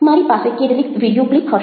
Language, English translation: Gujarati, i will be having some video clips